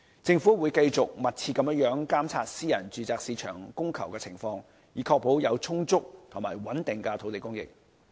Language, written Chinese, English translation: Cantonese, 政府會繼續密切監察私人住宅市場的供求情況，以確保有充足及穩定的土地供應。, The Government will continue to closely monitor the demand and supply of the private residential market to ensure an adequate and steady land supply